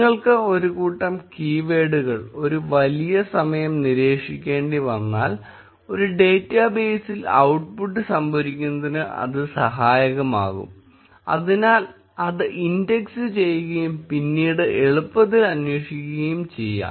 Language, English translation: Malayalam, In case you had to monitor a set of keywords for a large amount of time, storing the output in a database can be helpful, so that it is indexed and can be easily queried later